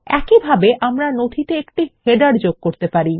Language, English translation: Bengali, Similarly, we can insert a header into the document